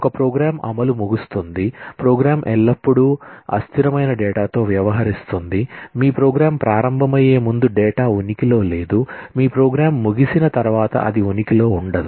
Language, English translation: Telugu, A program starts execution ends, the program always deals with transient data, the data did not exist before your program started, it ceases to exist after your program ends